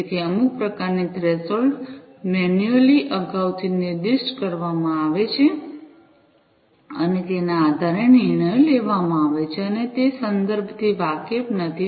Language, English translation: Gujarati, So, some kind of a threshold is specified beforehand manually and based on that the decisions are made, and those are not context aware